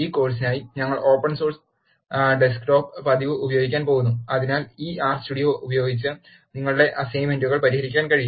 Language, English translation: Malayalam, For this course, we are going to use Open Source Desktop Edition so, that you can solve your assignments using this R Studio